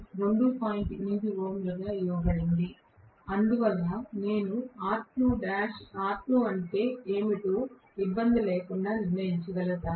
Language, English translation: Telugu, 8 ohms because of which I will be able to determine what is r2 without any difficulty